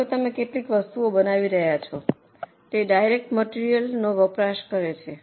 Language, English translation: Gujarati, Suppose you are producing some item, it is consuming direct material